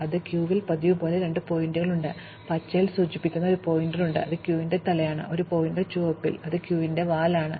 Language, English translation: Malayalam, So, in the queue, we have two pointers as usual, we have a pointer which we indicate in green, which is the head of the queue, and a pointer red, which is the tail of the queue